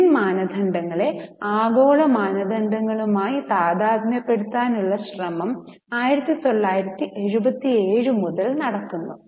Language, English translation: Malayalam, Now an effort has been made right from 1977 to harmonize Indian standards with the global standards